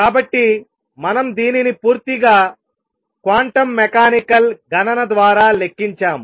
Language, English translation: Telugu, So, quantum mechanically we have also calculated this through a purely quantum mechanical calculation